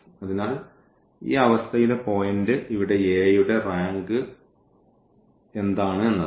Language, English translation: Malayalam, So, the point here is now the rank in this situation what is the rank of A